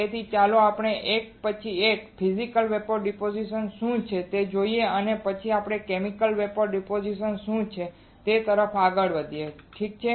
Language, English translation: Gujarati, So, let us see one by one what is Physical Vapor Deposition and then we will move on to what is Chemical Vapor Deposition alright